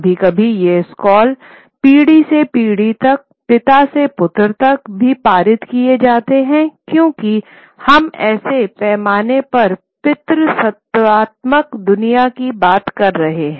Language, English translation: Hindi, Sometimes these scrolls would also be passed from generation to generation, from father to son usually because we are largely talking of a patriarchal world